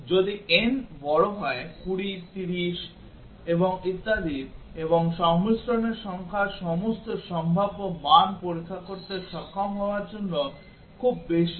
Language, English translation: Bengali, If there are n is large 20, 30 and so on and number of combinations are just too many to be able to test all possible values